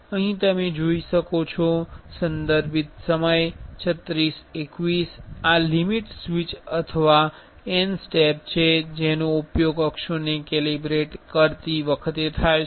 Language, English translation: Gujarati, Here you can see , this is the limit switch or n steps which is used while calibrating the axises